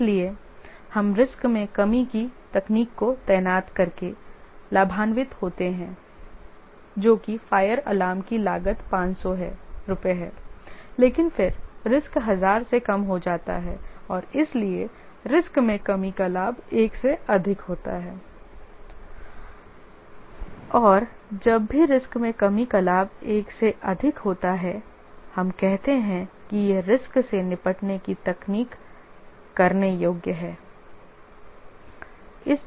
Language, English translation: Hindi, And therefore we benefit by deploying the risk reduction technique which is a fire alarm costs 500 but then the risk exposure reduces by thousand and therefore the risk reduction leverage is greater than one and whenever the risk reduction leverage is greater than one we say that this risk handling technique is worth doing it